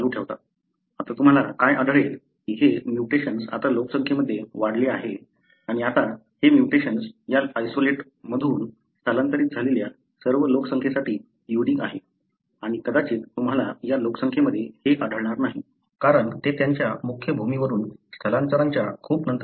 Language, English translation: Marathi, Now, what you will find that this mutation now increase in the population and now, this mutation is unique to all the population that migrated from this isolate and you may not find this in this population, so because it happened much later after they migrated from the main land